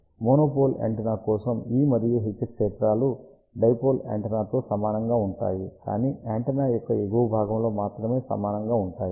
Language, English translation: Telugu, So, E and H fields for a monopole antenna are exactly same as dipole antenna, but only in the upper half